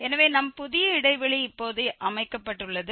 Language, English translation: Tamil, So, our new interval is set now